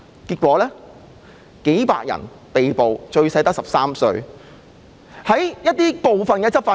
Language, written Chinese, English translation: Cantonese, 結果，數百人被捕，最小的只有13歲。, Hundreds of people ended up being arrested among whom the youngest was only 13 years old